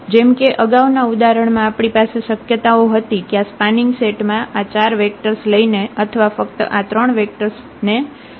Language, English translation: Gujarati, Like in the earlier example we have possibility in this spanning set taking all those 4 vectors or taking only those 3 vectors